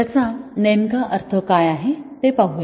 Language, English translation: Marathi, Let see what it really means